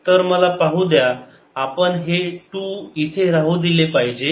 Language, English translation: Marathi, so let me thing we should keep this two here